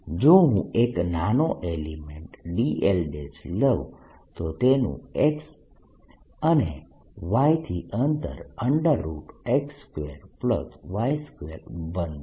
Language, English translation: Gujarati, if i take a small element d l prime, its distance from x is going to be and this is at distance